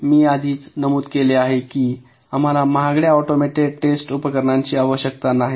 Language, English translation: Marathi, we first one: i already mentioned that we do not need an expensive automated test equipment